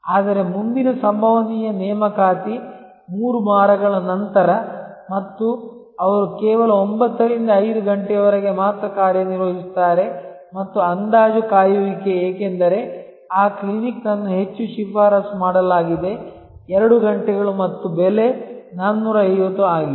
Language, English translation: Kannada, But, the next possible appointment is 3 weeks later and they operate only 9 to 5 pm and the estimated wait because that clinic is very highly recommended may be 2 hours and there price is 450